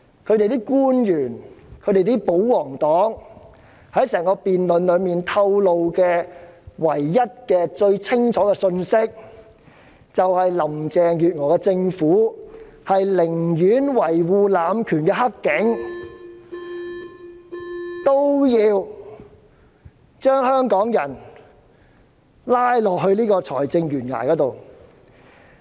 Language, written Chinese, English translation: Cantonese, 政府官員和保皇黨在整項辯論中清楚透露的唯一信息，便是林鄭月娥政府寧願維護濫權的"黑警"，亦要將香港人拉到財政懸崖上。, The only message that has been disclosed clearly by government officials and royalist Members in this entire debate is that the Carrie LAM Administration must harbour those corrupt cops who have abused their power even at the expense of dragging Hong Kong people to the verge of this fiscal cliff